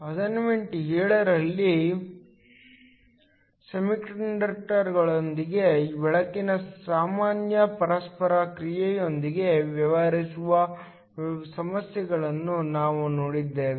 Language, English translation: Kannada, In assignment 7, we looked at problems dealing with general interaction of light with semiconductors